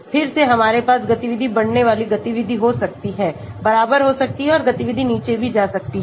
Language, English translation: Hindi, again we can have a activity increasing activity, equal, and activity can even go down